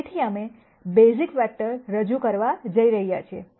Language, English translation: Gujarati, So, we are going to introduce the notion of basis vectors